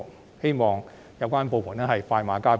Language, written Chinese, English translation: Cantonese, 我希望有關部門可以快馬加鞭。, I hope that the departments concerned can proceed as expeditiously as possible